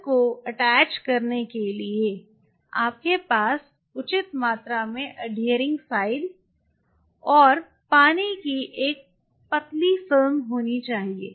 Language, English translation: Hindi, For the cells to attach you have to have reasonable amount of adhering side and a thin film of water around it